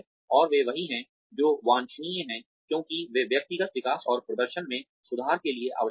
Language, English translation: Hindi, And, they are the ones, that are desirable because they are necessary for personal development and performance improvement